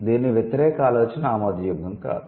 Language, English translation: Telugu, The other way around is unacceptable